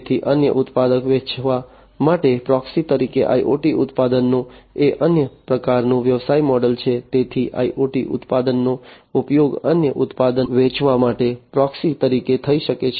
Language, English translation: Gujarati, So, IoT products as a proxy to sell another product is another kind of business model; so IoT products can be used as a proxy to sell another product